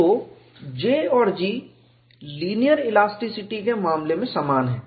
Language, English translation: Hindi, So, J and G are identical in the case of linear elasticity